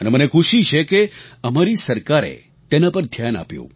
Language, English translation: Gujarati, And I'm glad that our government paid heed to this matter